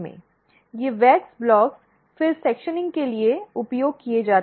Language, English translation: Hindi, These wax blocks, are then used for sectioning